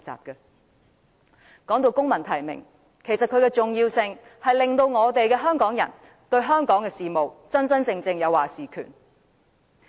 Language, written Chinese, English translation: Cantonese, 說到公民提名，其重要性在於讓香港人對香港的事務有真正的"話事權"。, Speaking of civil nomination its importance lies in allowing Hongkongers to genuinely have a say in the business of Hong Kong